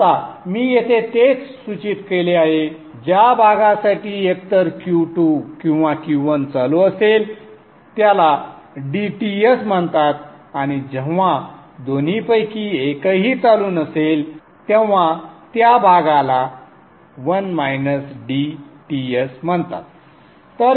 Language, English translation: Marathi, The portion for which either Q2 or Q1 is on is called DTS and the portion when neither of them is on is called 1 minus DTS